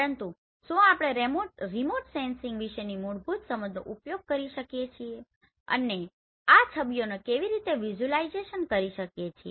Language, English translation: Gujarati, But can we use our basic understanding about remote sensing and how do we visualize this images